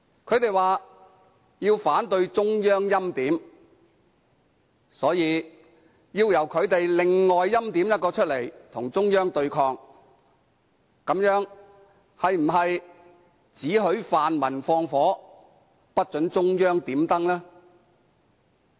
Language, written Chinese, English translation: Cantonese, 他們說要反對中央欽點，所以要由他們另外欽點一人與中央對抗，這樣是否"只許泛民放火，不准中央點燈"？, They oppose the Central Authorities preordaining a candidate thus they have to preordain another candidate to resist the Central Authorities . Can this be said that one may steal a horse while another may not look over the hedge?